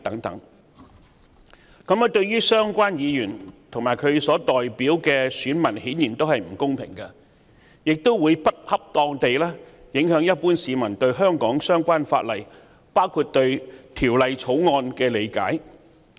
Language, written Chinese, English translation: Cantonese, 這對相關議員及其代表的選民顯然並不公平，亦會不恰當地影響一般市民對香港相關法例及《條例草案》的理解。, Such remarks are obviously unfair to the Members concerned and their respective constituencies and will improperly affect how the general public perceive the relevant legislation of Hong Kong and the Bill